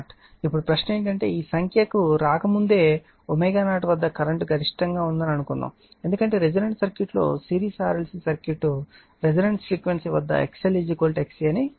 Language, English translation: Telugu, Now question is that suppose before before coming to this figure suppose at omega 0 current is maximum becausefor your what we call for resonance circuit, we have seen that your the resonant frequency series RLc circuit say that XL is equal to XC